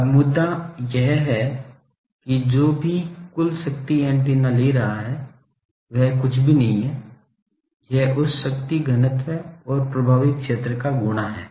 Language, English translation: Hindi, Now, point is whatever total power the antenna is taking that is nothing, but that power density multiplied by the effective area